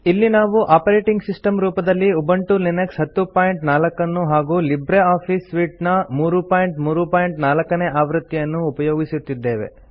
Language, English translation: Kannada, Here we are using Ubuntu Linux 10.04 as our operating system and LibreOffice Suite version 3.3.4